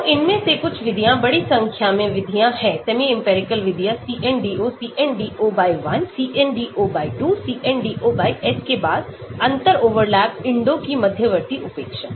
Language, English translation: Hindi, So, some of these methods, large number of methods are there for semi empirical methods CNDO, CNDO/1, CNDO/2, CNDO/S then intermediate neglect of differential overlap INDO